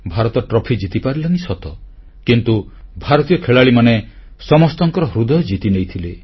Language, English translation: Odia, Regardless of the fact that India could not win the title, the young players of India won the hearts of everyone